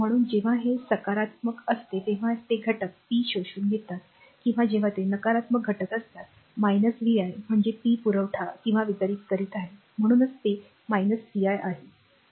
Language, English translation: Marathi, So, when it is positive then it is element is absorbing power when it is negative element this element minus vi means it is supplying or delivering power right that is why it is minus vi